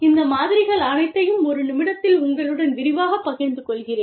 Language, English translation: Tamil, I will share, all these models, in detail with you, in a minute